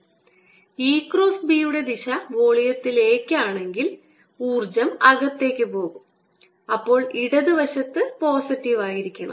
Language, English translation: Malayalam, notice that if e cross b is pointing into the volume, energy will be going in the left hand side should be positive